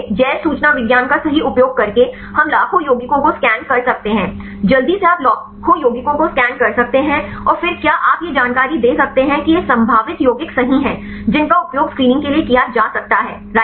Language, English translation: Hindi, So, using bioinformatics right we can scan millions of compounds, quickly you can scan millions of compounds and then can you can provide the information that these are the potential compounds right which could be used for the screening right